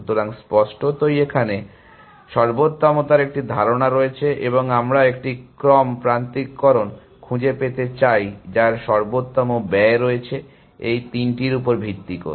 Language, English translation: Bengali, So, obviously there is a notion of optimality here and we want to find a sequence alignment, which has optimal cost based on these three, this